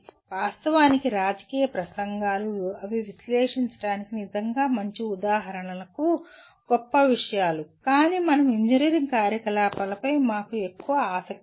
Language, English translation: Telugu, And actually political speeches they are great things to really examples for analyzing but we are more interested in the engineering type of activity